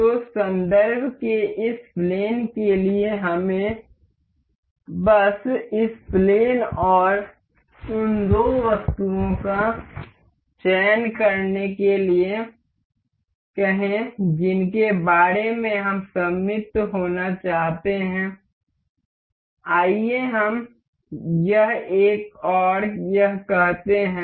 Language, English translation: Hindi, So, for this plane of reference, let us just select say this plane and the two items that we want to be symmetric about, let us say this one and this